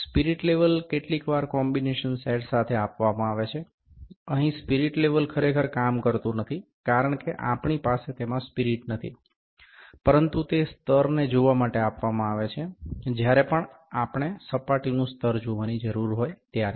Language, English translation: Gujarati, The spirit level is provided with the combination sometimes, here the spirit level is actually not working, because we do not have spirit in it, but it is also some provided to see the level, whenever we need to see the leveling of the surface